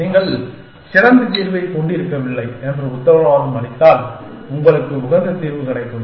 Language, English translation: Tamil, And if you then, guarantee that there is no better solution then, you will have an optimal solution